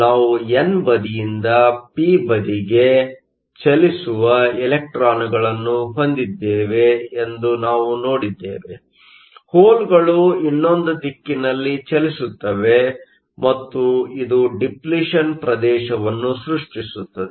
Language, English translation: Kannada, We saw that we have electrons moving from the n side to the p side; holes moving the other way and this creates a depletion region